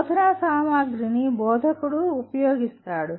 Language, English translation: Telugu, Instructional materials are what an instructor uses